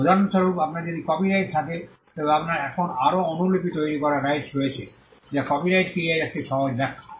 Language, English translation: Bengali, For instance, if you have a copyright then you simply have the right to make further copies now that is a simple explanation of what a copyright is